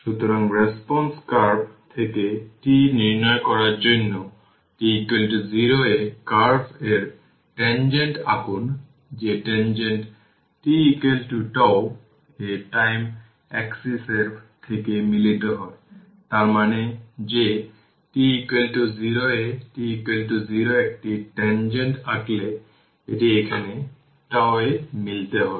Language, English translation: Bengali, So, for determining tau from the response curve, draw the tangent to the curve at t is equal to 0; that tangent meets the time axis at t is equal to tau; that means, that t is equal to 0 at t is equal to 0 if you draw a tangent it will meet here at tau right here it will meet at tau right